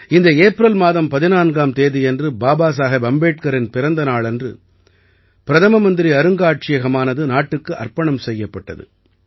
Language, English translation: Tamil, On this 14th April, the birth anniversary of Babasaheb Ambedkar, the Pradhanmantri Sangrahalaya was dedicated to the nation